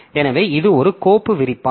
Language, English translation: Tamil, So there are two descriptors